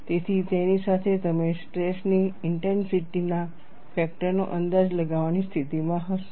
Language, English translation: Gujarati, So, with that, you would be in a position to estimate the stress intensity factor and the expression is given as follows